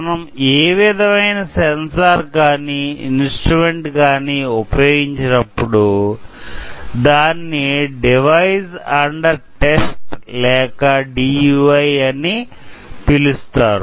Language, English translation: Telugu, So, whatever instrument or sensor that we are going to test, use test, we call it device under test or DUI